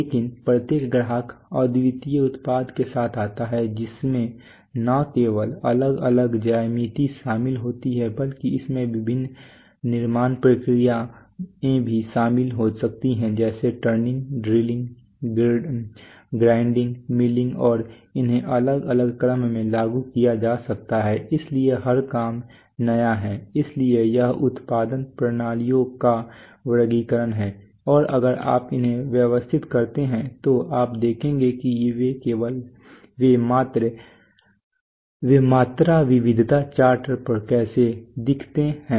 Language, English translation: Hindi, But every customer comes with unique product which not only involve different geometries but also might involve different manufacturing processes like turning, drilling, grinding, milling and they may be applied in different sequences so every job is new, so this is the categorization of production systems